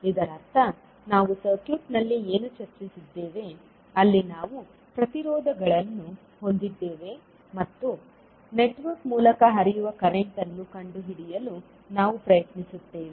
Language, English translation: Kannada, So that means that what we have discussed in the circuit like this where we have the resistances and we try to find out the current flowing through the network